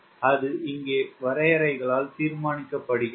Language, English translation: Tamil, so that is decided by the contour here